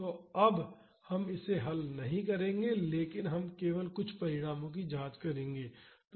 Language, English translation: Hindi, So, now, we will not be solving this, but we will just examine some of the results